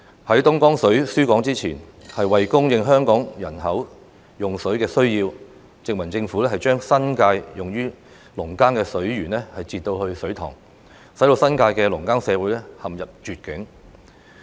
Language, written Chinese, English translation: Cantonese, 在東江水輸港前，為供應香港人口的用水需要，殖民政府將新界用於農耕的水源截流至水塘，使新界的農耕社會陷入絕境。, Before Dongjiang water was supplied to Hong Kong the colonial Government diverted water sources for farming irrigation purposes to its reservoirs in order to meet the water needs of Hong Kongs population which had placed the farming community in the New Territories in dire straits